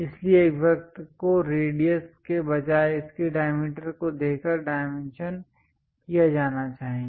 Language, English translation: Hindi, So, a circle should be dimension by giving its diameter instead of radius is must